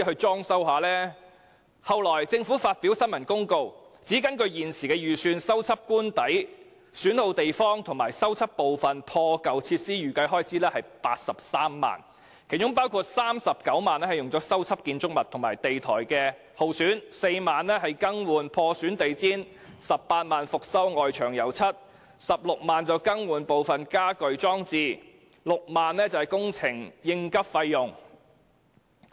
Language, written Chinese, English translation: Cantonese, 政府其後發表新聞公告，指根據預算，修繕官邸損耗地方和破舊設施的預計開支是83萬元，當中39萬元用作修繕建築物和地台、4萬元用作更換地毯、18萬元用作翻新外牆、16萬元用作更換家居裝置，以及6萬元用作工程應急費用。, The Government has subsequently issued a press release noting that the estimated expenditure for renovating the wear and tear in the official residence and repairing the worn - out amenities is 830,000 . Of this amount 390,000 will be used for renovating the building and the flooring; 40,000 for replacing the carpets; 180,000 for refurbishing the exterior walls; 160,000 for replacing household equipment; and 60,000 for emergency works